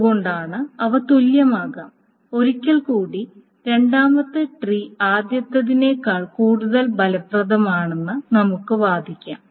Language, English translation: Malayalam, And once more we can argue that the second tree is more efficient than the first